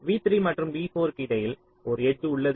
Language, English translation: Tamil, there is an edge between v three and v four may be